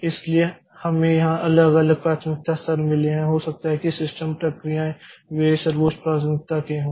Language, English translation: Hindi, So, we have got different priority levels like here maybe the system processes they are of the highest priority